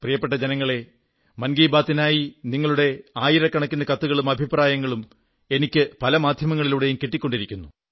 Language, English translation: Malayalam, My dear countrymen, for 'Mann Ki Baat', I keep getting thousands of letters and comments from your side, on various platforms